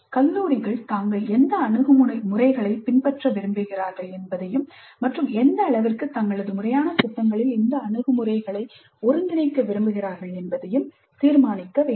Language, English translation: Tamil, Institutes must decide on which approaches they wish to use and what is the extent to which these approaches need to be integrated into their formal programs